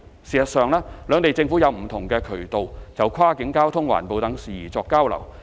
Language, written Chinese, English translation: Cantonese, 事實上，兩地政府有不同渠道就跨境交通、環保等事宜作交流。, In fact the two Governments have put in place various channels for interchange on such issues as cross - boundary transport and environmental protection